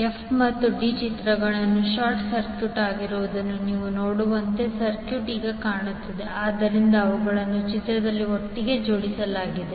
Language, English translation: Kannada, The circuit will look like now as you can see in the figure f and d are short circuited so they are clubbed together in the particular figure